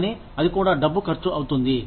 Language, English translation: Telugu, But, that also costs money